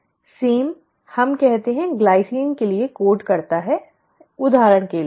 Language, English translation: Hindi, The same, let us say this codes for glycine, for example